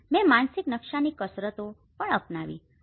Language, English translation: Gujarati, I have also adopted the mental map exercises